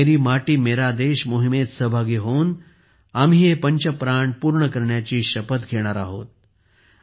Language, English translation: Marathi, By participating in the 'Meri Mati Mera Desh' campaign, we will also take an oath to fulfil these 'five resolves'